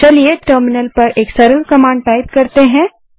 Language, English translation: Hindi, Now lets type a simple command to get a feel of terminal